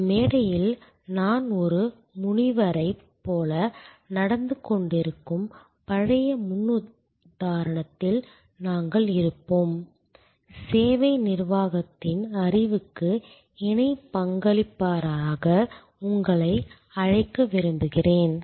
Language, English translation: Tamil, We will then be in the old paradigm, where I am behaving like a sage on a stage, I would like to invite you to be a co contributor to the knowledge of service management